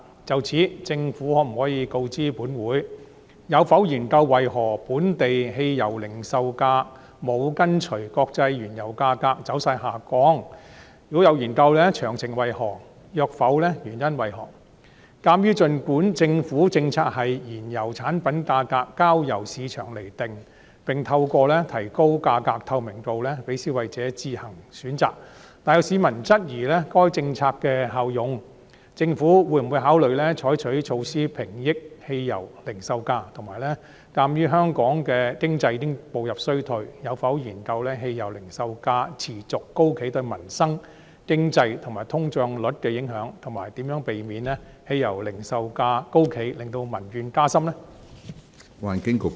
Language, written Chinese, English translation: Cantonese, 就此，政府可否告知本會：一有否研究為何本地汽油零售價沒有跟隨國際原油價格走勢下降；若有，詳情為何；若否，原因為何；二鑒於儘管政府政策是燃油產品價格交由市場釐定，並透過提高價格透明度讓消費者自行選擇，但有市民質疑該政策的效用，政府會否考慮採取措施平抑汽油零售價；及三鑒於香港經濟已步入衰退，有否研究汽油零售價持續高企對民生、經濟和通脹率的影響，以及如何避免汽油零售價高企令民怨加深？, In this connection will the Government inform this Council 1 whether it has studied why the local petrol pump prices did not go down in line with the trend of international crude oil prices; if so of the details; if not the reasons for that; 2 given that despite the Governments policy to let the prices of auto - fuel products be determined by the market and to let consumers make their own choices through improving price transparency some members of the public have queried the effectiveness of such policy whether the Government will consider adopting measures to stabilize petrol pump prices; and 3 as Hong Kongs economy has slid into a recession whether it has studied the impacts of the persistently high petrol pump prices on peoples livelihood the economy and inflation rate and how it prevents the persistently high petrol pump prices from exacerbating public grievances?